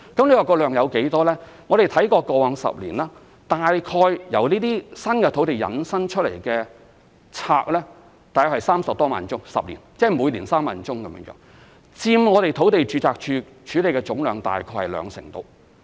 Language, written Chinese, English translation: Cantonese, 至於數量有多少，我們查看過往10年，由這些新土地引申出的註冊 ，10 年間約有30多萬宗，即每年平均3萬宗，在第10年佔土地註冊處處理的總量約兩成。, Regarding the quantity with reference to registrations over the past 10 years there were roughly 300 000 - odd new land registrations meaning an average of 30 000 registrations per year which accounted for about 20 % of the total number of registrations handled by the Land Registry